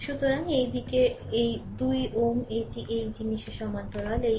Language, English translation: Bengali, So, this side here, it is 2 ohm that is the parallel of this thing